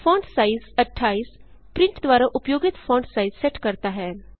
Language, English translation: Hindi, fontsize 28 sets the font size used by print